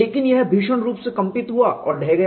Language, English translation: Hindi, But it violently vibrated and collapsed